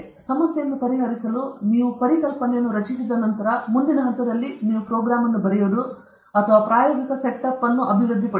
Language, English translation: Kannada, Once you generate the concept or idea to solve the problem, then the next stage is you will either write a program or you will develop an experimental setup and all these